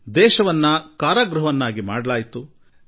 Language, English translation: Kannada, The country was turned into a prison